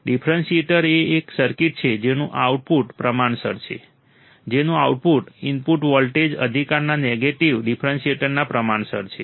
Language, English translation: Gujarati, Differentiator is a circuit whose output is proportional whose output is proportional to the negative differential of the input voltage right